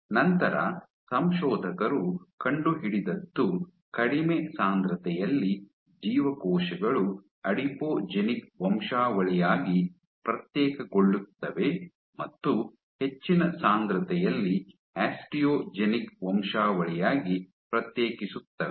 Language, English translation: Kannada, And what the authors discovered was at low density, the cells tended to differentiate into an Adipogenic Lineage, and on high seeding density they differentiate it into an Osteogenic Lineage